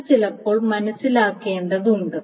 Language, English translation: Malayalam, So this is something needed to be understood